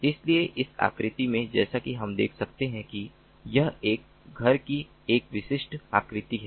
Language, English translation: Hindi, so in here, in this figure, as we can see, this is a typical figure of a home